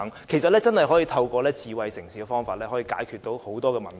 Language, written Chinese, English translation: Cantonese, 其實，真的可以透過智慧城市的方法解決很多問題。, Actually many problems can actually be resolved through smart city development